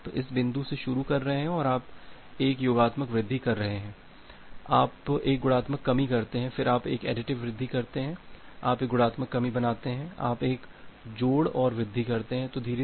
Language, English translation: Hindi, So, you are you are starting from this point you are making a additive increase, then you make a multiplicative decrease then again you make a additive increase you make a multiplicative decrease you make a additive increase and the multiplicative decrease